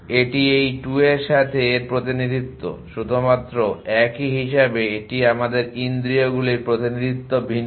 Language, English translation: Bengali, So this is the representation of with this 2 only same as this to its us senses the representation is different